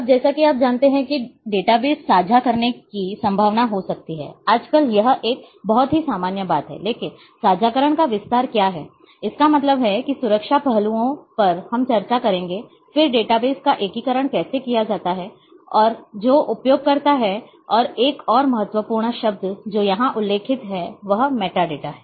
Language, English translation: Hindi, Now, database as you know there might be a possibility of sharing a database, nowadays this is one of the very common thing, but to what extend the sharing is; that means, the security aspect access aspects we will also touch up on that, then a how the integration is done of the database and a who are the users and a one more important term which is mentioned here is metadata